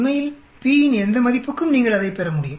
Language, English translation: Tamil, Actually, for any value of p you will be able to get it